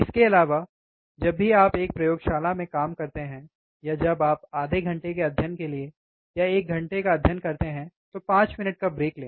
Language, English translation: Hindi, Also, whenever you work in a laboratory or when you study for half an hour study for one hour take 5 minutes break